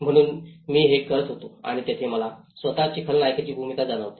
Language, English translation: Marathi, So that is what I was doing and there I realize a villain role in myself